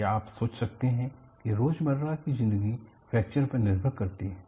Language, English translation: Hindi, Can you think of very simple day to day living depends on fracture